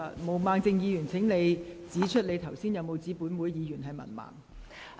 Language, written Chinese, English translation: Cantonese, 毛孟靜議員，你剛才有否指本會議員是文盲？, Ms Claudia MO did you say that Members of this Council were illiterate just now?